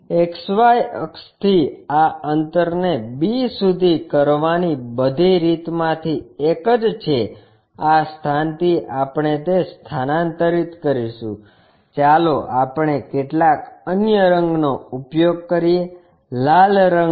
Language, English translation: Gujarati, From XY axis, this is the one from all the way to b this distance we will transfer it from this point to that point let us use some other color, red one